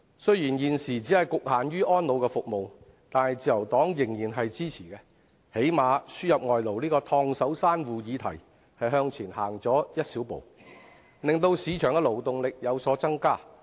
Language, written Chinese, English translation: Cantonese, 雖然此舉只局限於安老服務，但自由黨仍然予以支持，因為起碼在輸入外勞這個"燙手山芋"議題上向前走了一小步，令市場的勞動力有所增加。, Although such move is limited to the provision of services for the elderly the Liberal Party still supports it because this is at least a small step forward to bring more labour force to the market despite the piping hot issue of the importation of labour